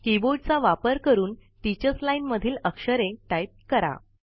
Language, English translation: Marathi, Let us type the character displayed in the teachers line using the keyboard